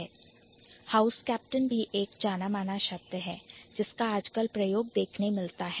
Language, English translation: Hindi, So, house captain is also a familiar term that we encounter nowadays